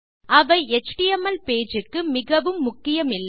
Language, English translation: Tamil, Theyre not vital in an html page